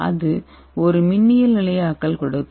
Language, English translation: Tamil, so what is electrostatic stabilization